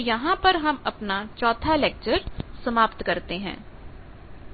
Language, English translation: Hindi, So, by this we conclude the 4th lecture